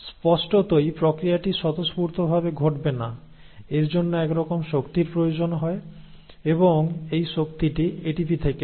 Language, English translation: Bengali, Obviously this process is not going to happen spontaneously, it does require some sort of energy and this energy comes from ATP